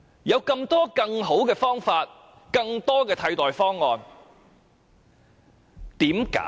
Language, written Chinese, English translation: Cantonese, 事實上，還有很多更好的替代方案。, Actually there are many other better alternatives